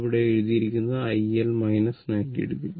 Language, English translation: Malayalam, It is written here I L minus 90 degree